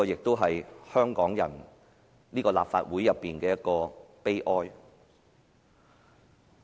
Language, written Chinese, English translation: Cantonese, 這是香港人和立法會的悲哀。, That is the sadness of Hong Kong people and of the Legislative Council